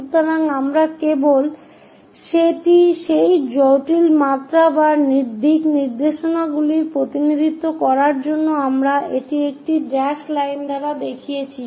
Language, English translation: Bengali, So, we just to represent that intricate dimensions or directions also we are showing it by a dashed line